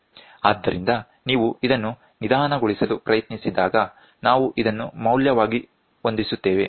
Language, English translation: Kannada, So, when you try to slow this one the moves so, we set it as the value